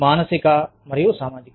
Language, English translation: Telugu, Psychological and social